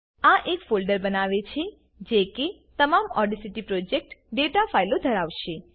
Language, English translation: Gujarati, This creates a folder that will contain all the audacity project data files